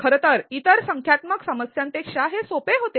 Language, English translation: Marathi, In fact, it was easier than other numerical problems